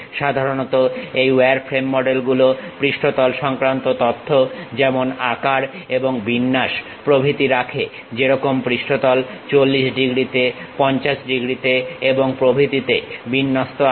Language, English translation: Bengali, Usually this wireframe models contain information on planes such as the size and orientation; something like whether the surface is oriented by 40 degrees, 50 degrees and so on